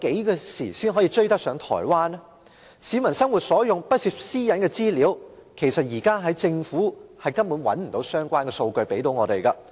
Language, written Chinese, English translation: Cantonese, 關於市民日常生活可以用到而不涉及私隱的資料，其實政府現時根本沒有提供相關數據供我們使用。, Regarding information which the public may use in their daily life and which does not involve personal privacy now the Government has not provided us with any relevant data at all